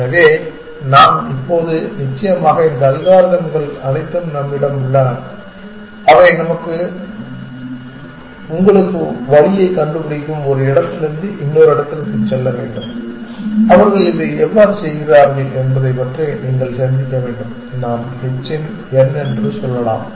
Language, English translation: Tamil, So, now, a days of course, we have all these algorithms which do route finding for you have to go from one place to another you must think about how they do this we can say h of n